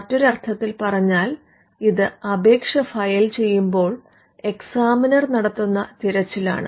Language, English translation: Malayalam, Now in other words, this is a search that is done by an examiner when an application is filed